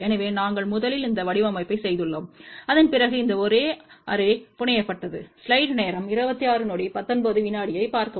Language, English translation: Tamil, So, we have first done that design, after that this array has been fabricated